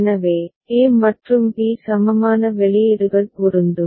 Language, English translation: Tamil, So, a and b will be equivalent outputs are matching